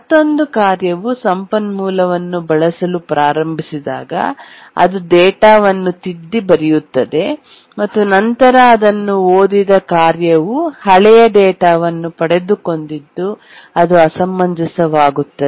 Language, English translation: Kannada, Then another task which started using the resource overwrote the data and then the task that had read it has got the old data